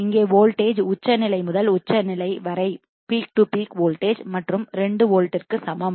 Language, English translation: Tamil, So, here the voltage is the peak to peak voltage and is equal to 2 volts right